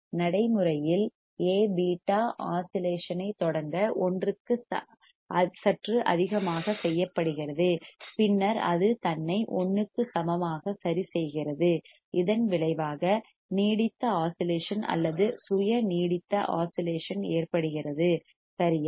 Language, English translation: Tamil, In practice, A beta is made slightly greater than one to start the oscillation and then it adjusted itself to equal to 1, finally resulting in a sustained oscillation or self sustained oscillation right